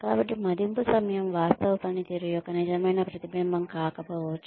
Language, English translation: Telugu, So, the timing of the appraisal, may not really be a true reflection, of the actual performance